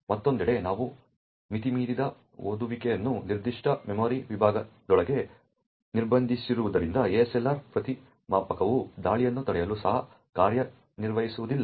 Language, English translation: Kannada, Over here on the other hand since we are restricting the overreads to within a particular memory segment, therefore the ASLR countermeasure will also not work to prevent the attack